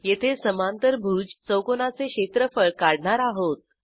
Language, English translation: Marathi, Here we calculate the area of parallelogram